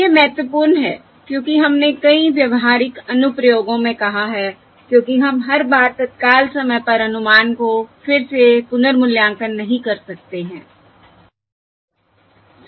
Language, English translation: Hindi, okay, That is important, as we have said in several practical applications, because we cannot recompute the um estimate at every time instant, right